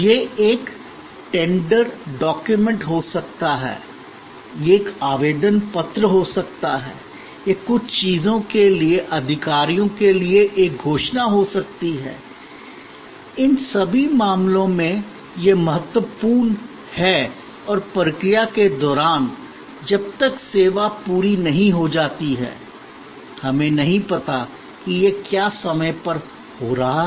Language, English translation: Hindi, It could be a tender document, it could be an application form, it could be a declaration to authorities for certain things, in all these cases it is time critical and during the process, till the service is completed, we do not know is it happening on time, am I going to be ok with the last date for this application